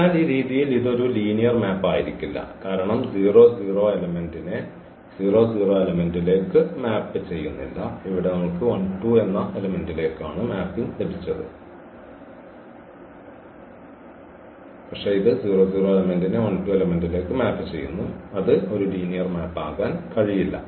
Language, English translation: Malayalam, So, in this way this cannot be a linear map because it is not mapping 0 0 element to 0 0 element, but it is mapping 0 0 element to 1 2 element which cannot be a linear map